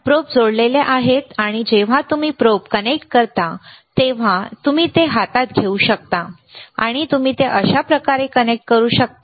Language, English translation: Marathi, The probes are connected and when you connect the probe, you can take it in hand and you can connect it like this, yes